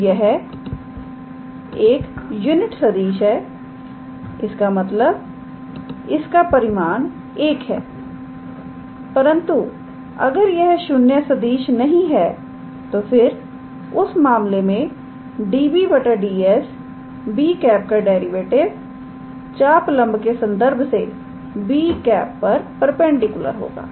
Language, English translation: Hindi, So, it is a unit vector; that means, its magnitude is 1, but if it is not a 0 vector then in that case db ds the derivative of b with respect to arc length must be perpendicular to b, alright